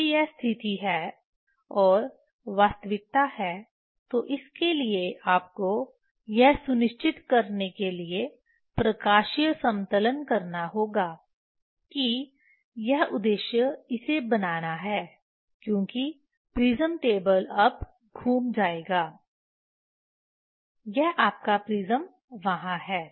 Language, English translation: Hindi, if this is the case and reality that happened for that you have to do the optical leveling to make sure that this purpose is to make this because prism table will rotate now, this your prism is there